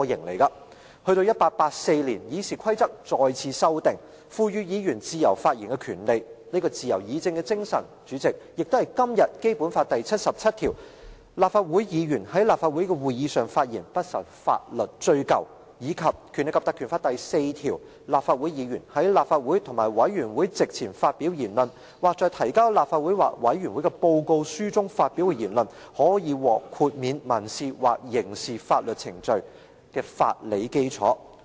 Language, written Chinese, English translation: Cantonese, 直至1884年，議事規則再次修訂，賦予議員自由發言的權利，這自由議政的精神，代理主席，亦是今天《基本法》第七十七條："立法會議員在立法會的會議上發言，不受法律追究"，以及《立法會條例》第4條訂明，立法會議員在立法會或委員會席前發表言論，或在提交立法會或委員會的報告書中發表的言論，可獲豁免民事或刑事法律程序的法理基礎。, The RoP was amended again in 1884 to give Members the right to freely express their views . Deputy President the spirit of freedom of debate forms the legal basis for Article 77 of the Basic Law which reads Members of the Legislative Council shall be immune from legal action in respect of their statements at meetings of the Council as well as Section 4 of the PP Ordinance which stipulates that Member will be free from civil and criminal liability for words spoken before or written in a report to the Council or a committee